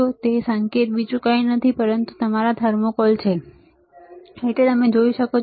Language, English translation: Gujarati, And that tip is nothing but your thermocouple, you can see